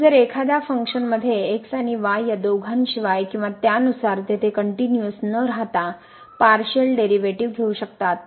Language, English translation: Marathi, But in this case a function can have partial derivatives with respect to both and at a point without being continuous there